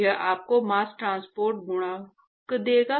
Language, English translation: Hindi, That will give you the mass transport coefficient